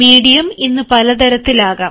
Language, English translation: Malayalam, the medium can be many